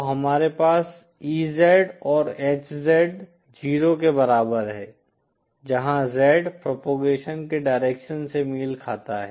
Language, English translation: Hindi, So we have EZ is equal to HZ equal to 0, where Z corresponds to the direction of propagation